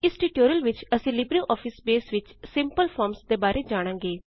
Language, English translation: Punjabi, In this tutorial, we will cover Simple Forms in LibreOffice Base